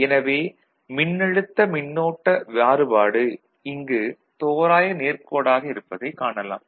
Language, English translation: Tamil, So, you can see the you know the current variation with the voltage is approximately linear